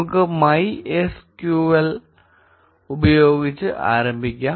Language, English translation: Malayalam, We will start off with MySQL